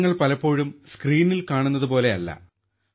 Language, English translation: Malayalam, Actors are often not what they look like on screen